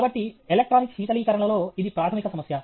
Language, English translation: Telugu, So, this is a fundamental problem in electronic cooling